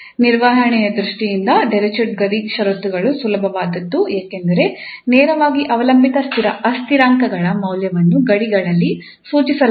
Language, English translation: Kannada, From the handling point of view, the Dirichlet boundary conditions are the easiest one because directly the value of the dependent variables are prescribed at the boundaries